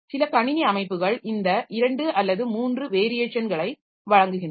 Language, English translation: Tamil, Some systems provide two or all three of these variations